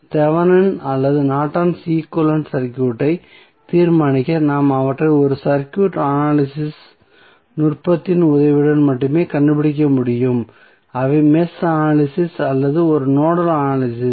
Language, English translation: Tamil, So, therefore to determine the Thevenin or Norton's equivalent circuit we need to only find them with the help of a circuit analysis technique that may be the Mesh analysis or a Nodal Analysis